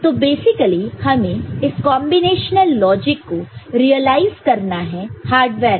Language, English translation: Hindi, So, basically we have to it realize this combinatorial logic in hardware and then the job is done ok